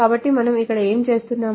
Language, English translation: Telugu, So what are we doing here